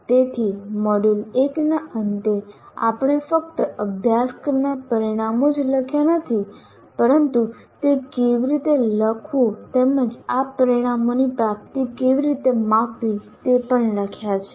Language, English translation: Gujarati, So, at the end of module 1, we not only wrote outcomes of a program, outcomes of a course and how to write that as well as how to measure the attainment of these outcomes